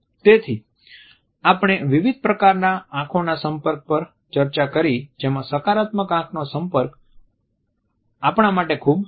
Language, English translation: Gujarati, So, we have looked at different types of eye contacts where as a positive eye contact is very important for us